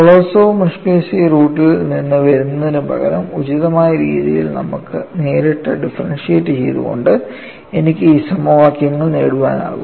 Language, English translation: Malayalam, Rather than coming from Kolosov Muskhelishvili root, I could also get these set of equations by directly differentiating them appropriately